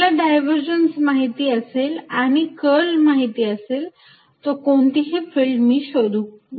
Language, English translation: Marathi, If I know this quantity the curl and if I know the divergence I can calculate field everywhere